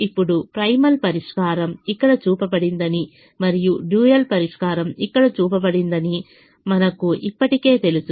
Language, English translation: Telugu, now we can also we have we have already know that the primal solution is shown here, the primal solution is shown here and the dual solution is shown here